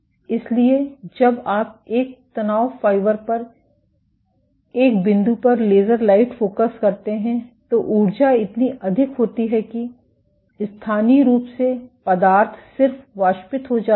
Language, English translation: Hindi, So, the when you focus laser light on a single point on a stress fiber the energy is so high that locally the material just evaporates